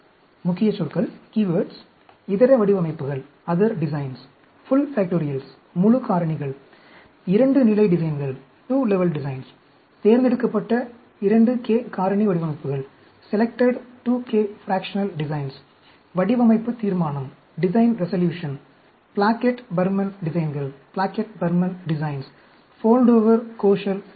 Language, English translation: Tamil, Key words Other designs, Full factorials, 2 Level Designs, Selected 2k Fractional Designs, Design Resolution, Plackett Burman designs, A Foldover Koshal Design